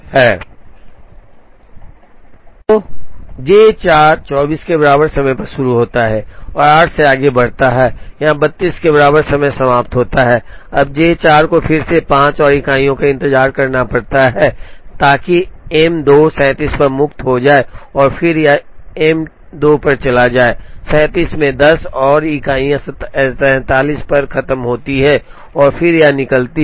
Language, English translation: Hindi, So, J 4 starts at time equal to 24 takes a further 8, here finishes at time equal to 32, now J 4 again has to wait for 5 more units, so that M 2 becomes free at 37 and then it goes to M 2 at 37 takes 10 more units finishes at 47 and then it comes out